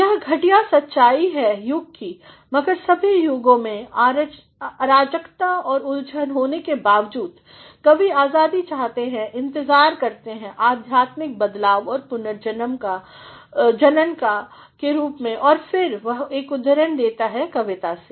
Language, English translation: Hindi, The horrendous reality of age, but of all ages despite the chaos and confusion prevailing around, the poets long for the freedom waiting in the form of spiritual transformation and regeneration and then he makes a quote from the poem